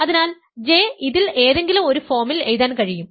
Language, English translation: Malayalam, So, J can be written as something of this form